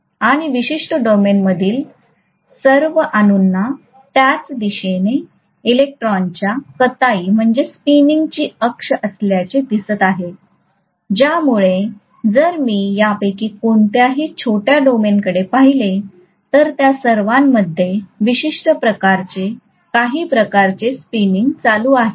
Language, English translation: Marathi, And all that atoms in a particular domain seem to have the axis of the spinning of the electrons along the same direction, because of which if I look at any of these small domains, all of them are having some kind of current spinning in a particular direction